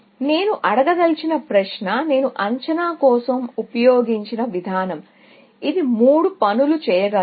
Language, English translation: Telugu, The question that I want to ask is the mechanism that I used for estimation; it can do three things